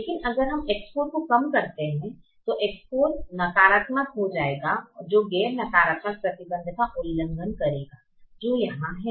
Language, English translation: Hindi, but if we decrease x four, x four will become negative, which will violate the non negativity restriction which is here